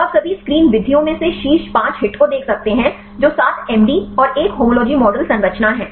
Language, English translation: Hindi, So, you can see the best of top 5 hits from all the screen methods that is a 7 MD and 1 homology model structures